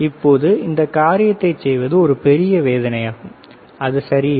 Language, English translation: Tamil, Now, doing this thing is a big pain and which is not ok